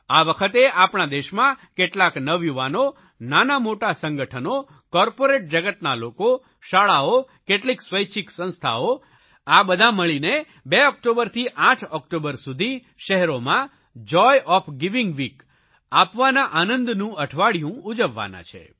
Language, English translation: Gujarati, Now, many youngsters, small groups, people from the corporate world, schools and some NGOs are jointly going to organize 'Joy of Giving Week' from 2nd October to 8th October